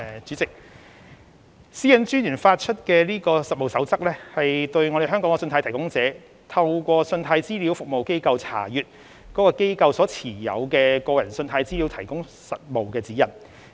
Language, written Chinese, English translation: Cantonese, 主席，私隱專員發出的《實務守則》，為香港的信貸提供者如何透過信貸資料服務機構查閱該機構所持有的個人信貸資料，提供了實務指引。, President the Code of Practice issued by the Commissioner provides Hong Kongs credit providers with practical guidance on their access to consumer credit data held by CRAs